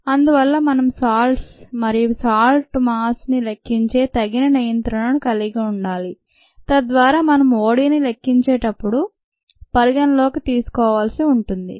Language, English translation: Telugu, so we need to have an appropriate control by which we can account for the mass of salts and substrates and so on, so that we need to take in to account while measuring od